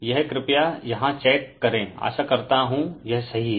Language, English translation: Hindi, This you please check it right hope this is correct